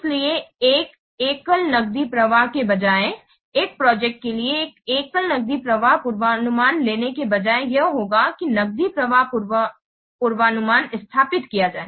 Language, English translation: Hindi, So, rather than a single cash flow, so rather than taking a single cash flow forecast for a project, here we will then have a set up cash flow forecast